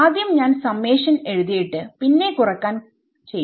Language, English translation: Malayalam, So, I will just write out the summation and then we will do the subtraction